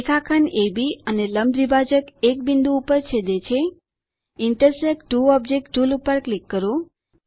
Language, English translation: Gujarati, Segment AB and Perpendicular bisector intersect at a point,Click on Intersect two objects tool